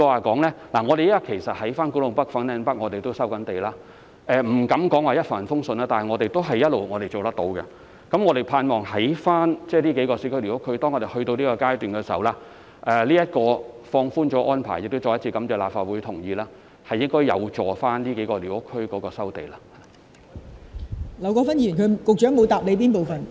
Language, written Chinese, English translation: Cantonese, 其實我們亦正在古洞北和粉嶺北收地，我不敢說這項工作一帆風順，但我們一直也能夠做到，希望當這數個市區寮屋區的收地工作進入這個階段時，這項已放寬的安排——我再次感謝立法會同意這項安排——應該有助於在這數個寮屋區進行收地工作。, In fact we are also carrying out land resumption in Kwu Tung North and Fanling North . I dare not say that we are doing this smoothly without a hitch but we have managed to get the job done all along . I hope that when we reach the stage of land resumption in the several urban squatter areas this relaxed arrangement―I thank the Legislative Council again for endorsing this arrangement―should be helpful to the land resumption work in these squatter areas